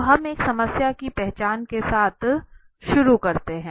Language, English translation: Hindi, So we start with a problem identification okay